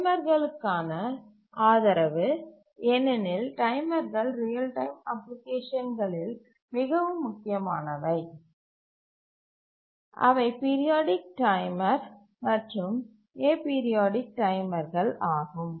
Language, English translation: Tamil, Support for timers because timers are very crucial in real time applications, both the periodic timer and the aperiodic timers